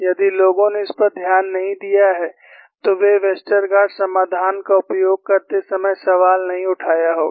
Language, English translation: Hindi, If people have not noted this, they would not have raised the question while using the Westergaard solution